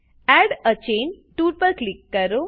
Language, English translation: Gujarati, Click on Add a chain tool